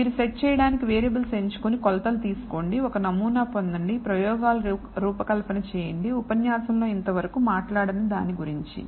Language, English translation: Telugu, And so, you choose to set of variables and take measurements, get a sample, do design of experiments, which is not talked about in this whole what we called lecture